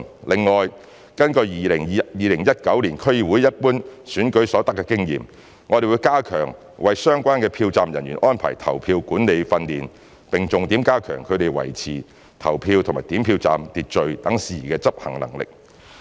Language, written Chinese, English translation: Cantonese, 另外，根據在2019年區議會一般選舉所得的經驗，我們會加強為相關的票站人員安排投票管理訓練，並重點加強他們在維持投票及點票站的秩序等事宜的執行能力。, Meanwhile having regard to the experience in the 2019 District Council Ordinary Election we shall strengthen the polling management training for the polling officers concerned with an emphasis on enhancing their capability in maintaining the order of the polling and counting stations etc